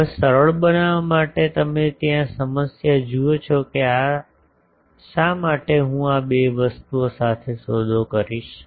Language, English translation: Gujarati, Now, to simplify you see that problem that; why I will deal with the 2 things